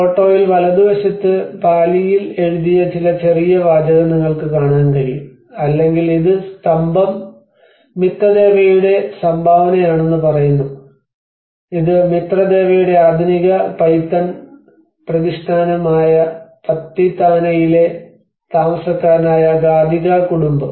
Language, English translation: Malayalam, \ \ \ On the right hand side in the photograph, you can see some small text which has been written in either Pali or and this is saying that the pillar is the donation of Mitadeva which is a Mitradeva of the Gadhika family, a resident of Patithana which is Pratishthana the modern Python